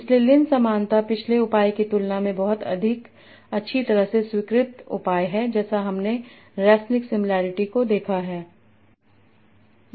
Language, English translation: Hindi, So Lin similarity is a much more well accepted measure than the previous measure that we have seen